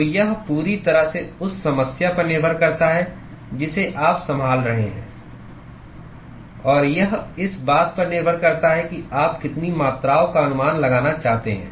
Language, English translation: Hindi, So, it completely depends upon the problem that you are handling, and it depends upon what are the quantities that you want to estimate